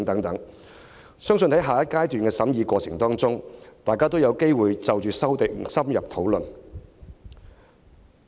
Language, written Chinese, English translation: Cantonese, 我相信在下個階段的審議過程中，大家也有機會就各項修訂深入討論。, I believe in the next stage of scrutiny all Honourable colleagues will have an opportunity to engage in in - depth discussions on various amendments